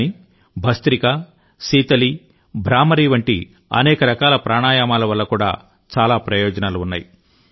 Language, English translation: Telugu, But there are many other forms of Pranayamas like 'Bhastrika', 'Sheetali', 'Bhramari' etc, which also have many benefits